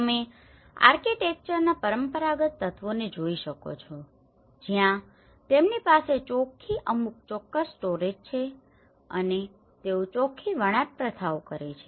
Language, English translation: Gujarati, You can see the traditional elements of the architecture where they have some certain storages of net and they perform the net weaving practices